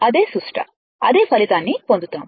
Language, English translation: Telugu, It will give you the same result